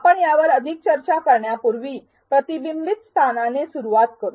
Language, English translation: Marathi, Before we discuss more on it, let us start with the reflection spot